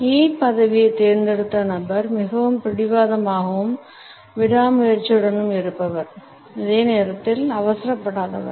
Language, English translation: Tamil, The person who has opted for the E position comes across as a person who is very stubborn and persistent and at the same time is not hurried